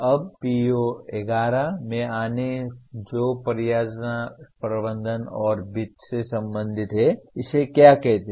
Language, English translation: Hindi, Now coming to PO11 which is related to project management and finance, what does it say